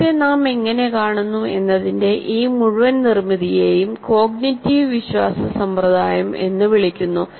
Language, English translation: Malayalam, And this total construct of how we see the world is called cognitive belief system, the entire thing